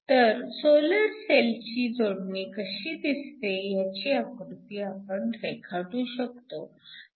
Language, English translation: Marathi, So, we can actually draw how the solar cell connection looks